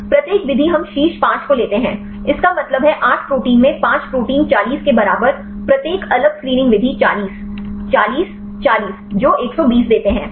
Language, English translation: Hindi, Each method we take the top 5 so; that means, 8 proteins into 5 equal to 40 each different screening method 40, 40, 40 that give 120